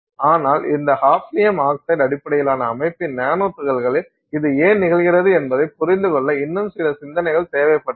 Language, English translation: Tamil, But so there was some more thought was necessary to understand why this was happening in nanomaterial nanoparticles of this hafineum oxide based system